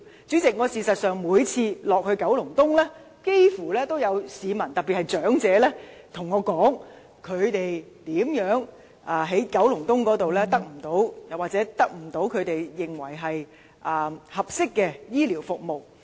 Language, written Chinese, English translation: Cantonese, 主席，事實上，我幾乎每次探訪九龍東時，也有市民告訴我，他們在九龍東得不到他們認為合適的醫療服務。, President as a matter of fact almost on every of my visit of Kowloon East residents especially elderly persons would tell me that they do not receive healthcare services they consider appropriate in the district